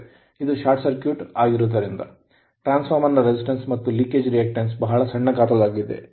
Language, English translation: Kannada, Because it is short circuited, it is short circuited right and transformer resistance and leakage reactance is very very small size right